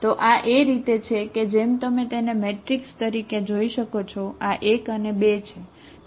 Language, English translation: Gujarati, So this is as you can see this as a matrix, this is 1 and 2